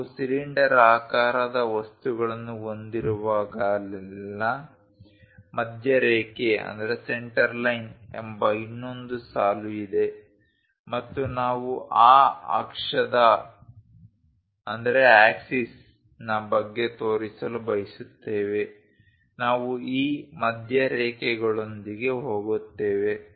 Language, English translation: Kannada, There is one more line called center line whenever we have cylindrical objects and we would like to show about that axis, we go with these center lines